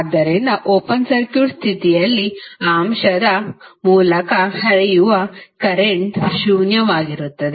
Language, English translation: Kannada, So, it means that under open circuit condition the current flowing through that element would be zero